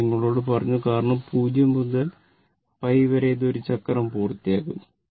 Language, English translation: Malayalam, I told you that because, in 0 to pi, it is completing 1 cycle